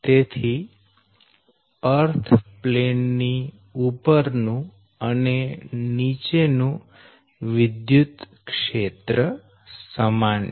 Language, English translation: Gujarati, so the electric field above the plane is the same, that is